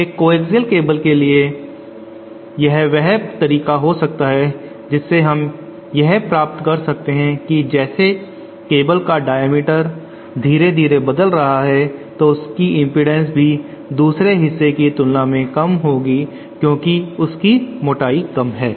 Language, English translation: Hindi, For a coaxial cable it might be the way we can achieve is by having diameter of the cable slowly changing this part will have a lower impedance as compared to this part because of this lower thickness